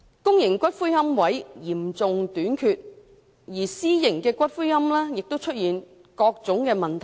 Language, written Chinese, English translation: Cantonese, 現時公營龕位嚴重短缺，私營龕位亦出現種種問題。, While there is a serious shortage of public niches private niches are also plagued with various problems